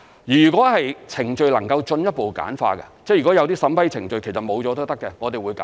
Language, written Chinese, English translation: Cantonese, 如果程序能夠進一步簡化，即如果有些審批程序其實沒有也可以的，我們會簡化。, If the process can be further streamlined by for example removing some unnecessary approval processes we will work on it